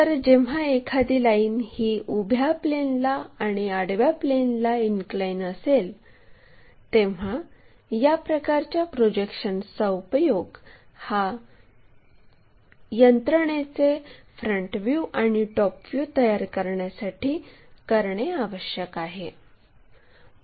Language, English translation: Marathi, So, when a line is inclined to both vertical plane, horizontal plane, we have to use this kind of projections to construct this front view and top view of the system